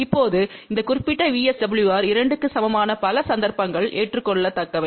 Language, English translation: Tamil, Now, many cases this particular VSWR equal to 2 is acceptable